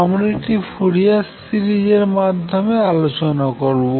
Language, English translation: Bengali, Let me explain this through Fourier series